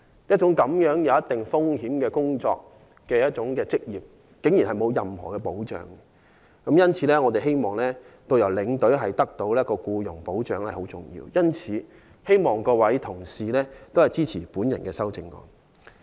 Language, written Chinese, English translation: Cantonese, 這種存在一定風險的職業，竟然不受任何保障。因此，我們認為有必要為導遊和領隊提供僱傭保障。我希望各位議員支持我的修正案。, We therefore hold that it is necessary to provide employment protection to tourist guides and tour escorts and I urge Members to support my amendment